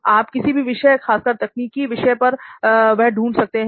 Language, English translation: Hindi, You can search videos on any, specifically for technical it is there